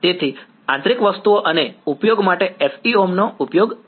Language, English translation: Gujarati, So, use FEM for the interior objects and use